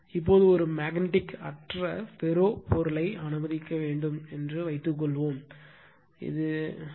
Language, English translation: Tamil, Now, suppose let a ferromagnetic material, which is completely demagnetized that is one in which B is equal to H is equal to 0